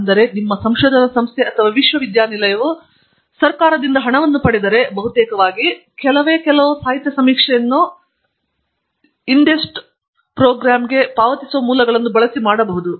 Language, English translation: Kannada, And, which means, that if your research organization or university is funded by government, then most probably, quite a few of literature survey can be done using the sources that are paid for by INDEST program